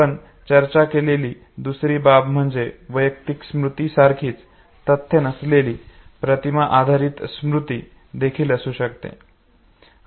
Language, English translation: Marathi, The second aspect what we discussed was that there could be non image based memory also of facts that are similar to personal memory